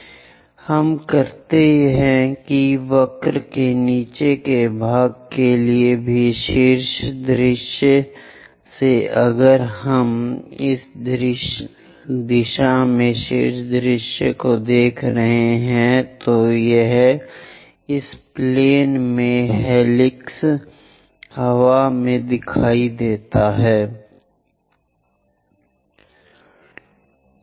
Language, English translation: Hindi, So, let us do that for the bottom part of the curve also, from top view if we are looking from top view in this direction how does that helix wind on that plane let us draw that